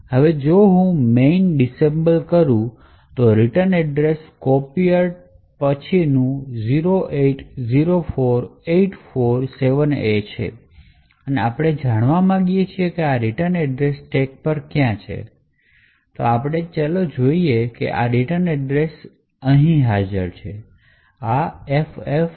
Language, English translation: Gujarati, Now if I disassemble main, the return address after copier is 0804847A and we want to know where this return address is present on the stack and we see that this return address is present over here